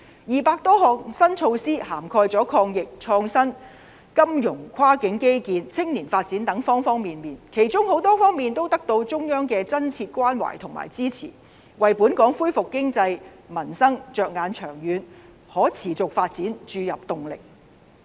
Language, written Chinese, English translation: Cantonese, 二百多項新措施涵蓋抗疫、創新、金融、跨境基建及青年發展等各方面，其中很多方面都得到中央的真切關懷和支持，為本港恢復經濟、民生着眼長遠可持續發展注入動力。, More than 200 livelihood - oriented initiatives covering anti - epidemic innovation financial services cross - boundary infrastructure construction and youth development and so on are introduced and the Central Government gives genuine support and expresses concern to many of them . They are injecting impetus into the recovery and long - term sustainable development of Hong Kongs economy and the livelihood of the people